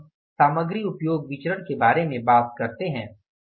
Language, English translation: Hindi, Now we talk about the material usage variance